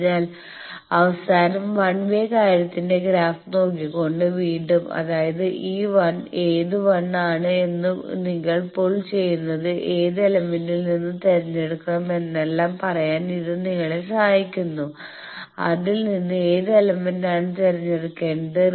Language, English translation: Malayalam, So, again by looking at that final graph of 1 way thing; that means, this 1 this 1 this actually helps you to tell that which 1 you are getting pulled, which element to choose from that people have already found out that for region 2 you have these 2 choices